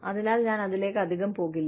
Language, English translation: Malayalam, So, I will not go, too much into it